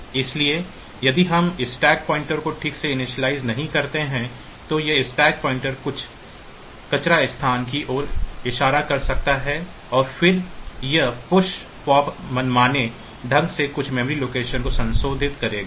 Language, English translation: Hindi, So, if we do not initialize the stack pointer properly then this stack pointer may be pointing to some garbage location and then this push pop will arbitrarily modify some memory location